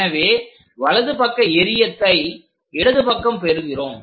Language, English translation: Tamil, So, right side thing we are projecting on to the left side